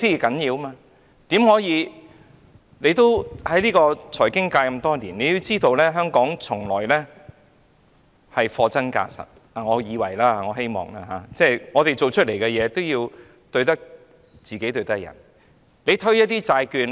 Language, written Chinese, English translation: Cantonese, 局長在財經界多年，他也知道香港一向是貨真價實——我以為或我希望是這樣——我們所做的工作，對得起自己，也要對得起別人。, The Secretary has been in the financial sector for years . He knows that Hong Kong has all along been offering authentic goods at fair prices―I think or I hope we are doing so―and we do everything in good faith both to ourselves and to others